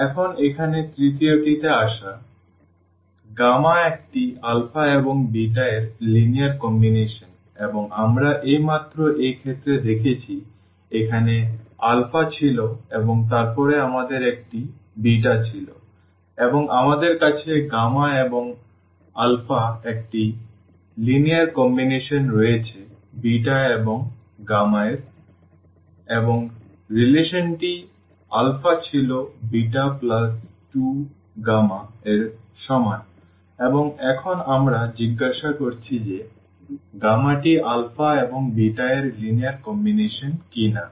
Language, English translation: Bengali, Now, coming to the third one here gamma is a linear combination of alpha and beta we have just seen in this case 1 here that this was alpha here and then we had a beta and we have gamma that alpha is a linear combination of this beta and gamma and this was the relation alpha is equal to beta plus 2 gamma and now, we are asking whether gamma is a linear combination of alpha and beta